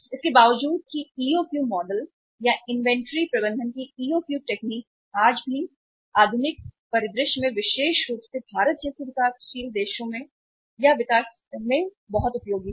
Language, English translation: Hindi, Despite that EOQ model or EOQ technique of inventory management is very very useful even today or in the modern scenario especially in the countries like India or the developing countries